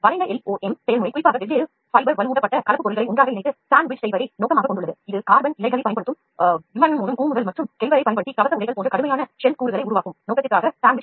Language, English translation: Tamil, The curved LOM process is particularly aimed at using different using fibre reinforced composite material sandwich together for the purpose of making tough shelled components like nose cones for aircrafts using carbon fibers and armored clothes using Kevlar